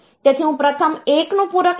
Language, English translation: Gujarati, So, I take first 1’s complement